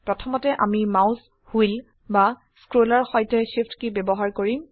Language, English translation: Assamese, First we use the Shift key with the mouse wheel or scroll